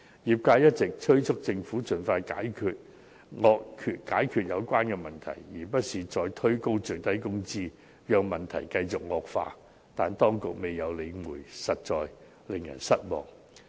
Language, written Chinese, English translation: Cantonese, 業界一直催促政府盡快解決有關問題，而非再推高最低工資，讓問題繼續惡化，但當局未有理會，實在令人失望。, The industry has been urging the Government to resolve the relevant problems rather than pushing the minimum wage higher to allow the problem to continue to worsen . It is really disappointing that the authorities have turned a deaf ear to us